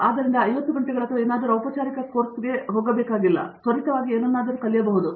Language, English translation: Kannada, So, it does not had to be like a formal course for 50 hours or something, can I just learn something quickly, right